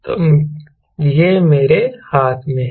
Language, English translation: Hindi, so this in my hand here is